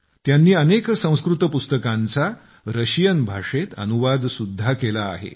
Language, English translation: Marathi, He has also translated many books from Sanskrit to Russian